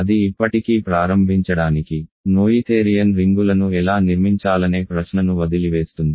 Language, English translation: Telugu, That still leaves the question of how to construct noetherian rings to begin with